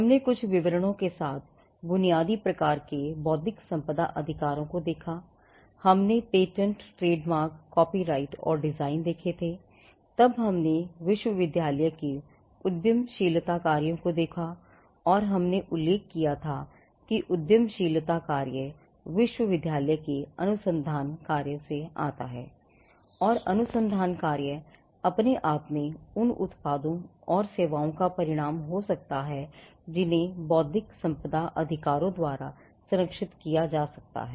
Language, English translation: Hindi, We had seen some of the basic types of intellectual property rights with some details; we had seen patents, trademarks, copyright and designs; then we looked at the entrepreneurial function of the university and we had mentioned that the entrepreneurial function comes out of the research function of the university and the research function in itself could result in products and services which could be protected by intellectual property rights